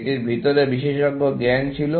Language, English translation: Bengali, This had expert knowledge inside it